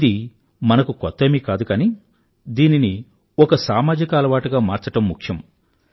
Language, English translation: Telugu, This is nothing new for us, but it is important to convert it into a social character